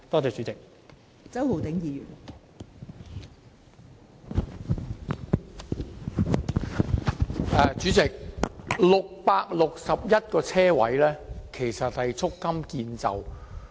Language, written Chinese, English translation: Cantonese, 代理主席 ，661 個泊車位其實是不足夠的。, Deputy President 661 parking spaces are actually not enough